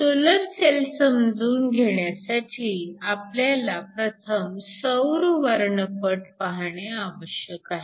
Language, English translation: Marathi, To understand the solar cell, we first need to take a look at the solar spectrum